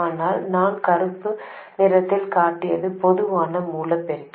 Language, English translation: Tamil, But the stuff that I have shown in black that is the common source amplifier